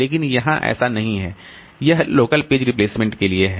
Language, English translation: Hindi, So, this is for the local page replacement